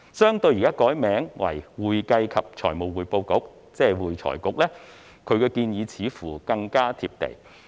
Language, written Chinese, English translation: Cantonese, 相對於現時改名為會財局，他的建議似乎更加貼地。, Compared with the present proposal of renaming it as AFRC his suggestion seems more down - to - earth